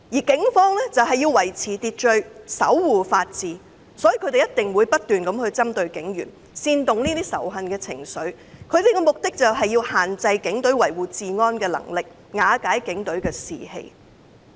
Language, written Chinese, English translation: Cantonese, 警方必須維持秩序，守護法治，所以這些人不斷針對警員，煽動仇恨情緒，目的就是要限制警隊維護治安的能力，瓦解警隊士氣。, The Police must maintain order and defend the rule of law so these people continuously target police officers and incite hatred with the purpose of limiting the Polices ability to maintain law and order and crumbling their morale